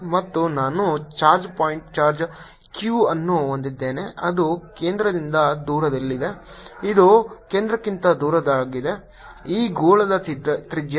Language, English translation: Kannada, and i have a charge point, charge q, which is located at a distance from the centre which is larger than the centre, ah, the radius of the, this sphere